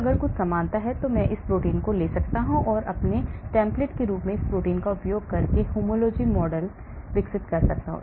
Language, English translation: Hindi, And if there is some similarity I take that protein and I develop a homology model using that protein as my template